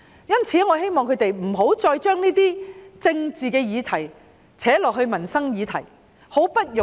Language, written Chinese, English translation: Cantonese, 因此，我希望反對派不要再將政治議題拉進民生議題。, I thus hope that the opposition camp will not continue to mingle livelihood issues with political ones